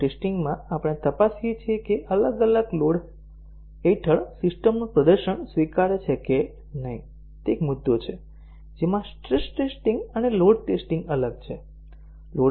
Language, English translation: Gujarati, In load testing, we check whether the performance of the system under different specified loads is acceptable so that is one point in which the stress testing and load testing differ is that